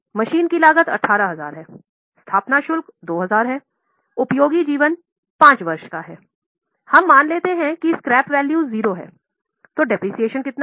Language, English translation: Hindi, So, cost of machinery is 18,000, installation charges are 2,000, useful life is 5 years, we have assumed that scrap value is 0